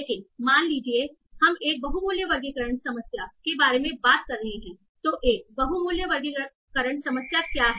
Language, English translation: Hindi, But suppose we are talking about a multi value classification problem